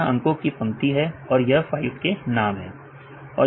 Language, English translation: Hindi, So, this is the number of lines and this is the file names